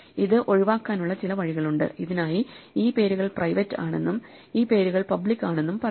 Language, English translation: Malayalam, So for this, the only way we can get around this is to actually have some way of saying that these names are private and these names are public